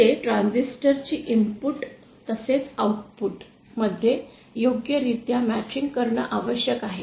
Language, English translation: Marathi, Here the transistor needs to be properly matched at the input as well as at the output